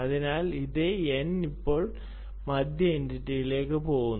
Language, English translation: Malayalam, so the same n that is here is now going through this middle entity